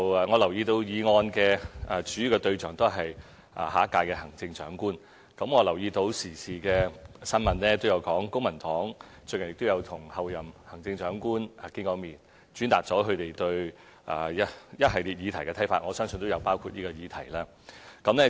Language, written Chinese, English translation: Cantonese, 我留意到議案的主要促請對象是下一屆行政長官，亦留意到時事新聞提到公民黨最近與候任行政長官見面，轉達了他們對一系列議題的看法，我相信亦有包括這個議題。, I note that the motion appeals mainly to the next Chief Executive and I have also learned from the news that the Civic Party has met the Chief Executive designate lately to express opinions on a series of topics and including the current topic presumably